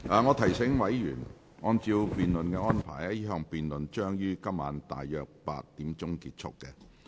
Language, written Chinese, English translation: Cantonese, 我提醒委員，按照辯論安排，這項辯論將於今天晚上約8時結束。, I remind Members that according to the debate arrangements this debate will end at around 8col00 pm today